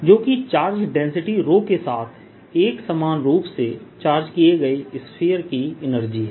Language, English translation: Hindi, that is the energy of a uniformly charged sphere with density raw